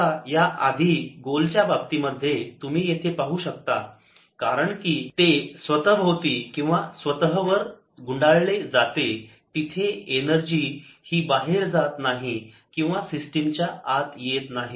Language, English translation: Marathi, now, in the previous case, in the case of a sphere, you can see, since its winding around or itself, there is no energy going out or coming into this system